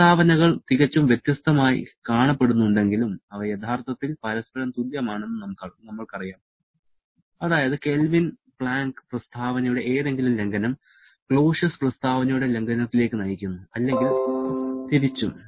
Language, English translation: Malayalam, And we know that though the statements look quite different, they are actually equivalent to each other that is any violation of the Kelvin Planck statement leads to violation of the Clausius statement or vice versa